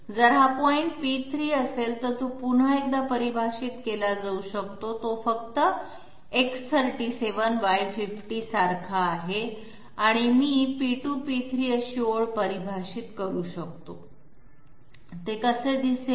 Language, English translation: Marathi, P3 can be defined once again that is simply as X37 Y50 and I can define a line as P2, P3, how would it look like